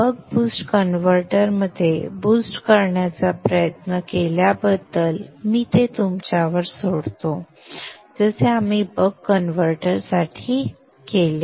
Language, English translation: Marathi, I will leave it to you for trying out the boost in the boost converter along the same lines as we did for the buck converter